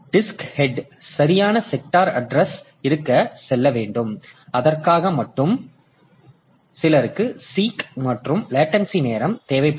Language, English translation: Tamil, So, the disk head has to go to proper sector address and then only for that it will require some seek time and some latency time